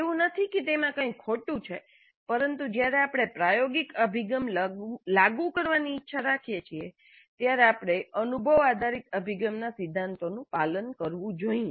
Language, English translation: Gujarati, Not that there is anything wrong with it but when we wish to implement experiential approach we must follow the principles of experience based approach